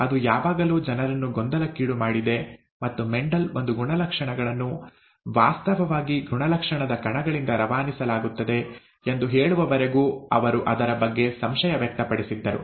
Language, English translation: Kannada, That has always puzzled people but they were skeptic about it and so on and so forth, till Mendel came and told us that the traits are actually passed on by trait particulates